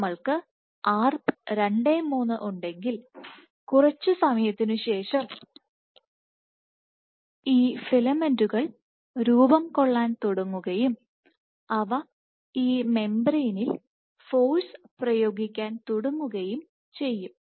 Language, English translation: Malayalam, So, if we have Arp 2/3, what you will see is after some time these filaments will begin to form and they will start exerting force on this membrane